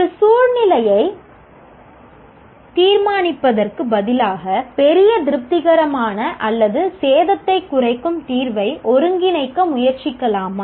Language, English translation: Tamil, Instead of judging the players in a situation, can we try to synthesize solution that satisfies majority or that at least minimize damage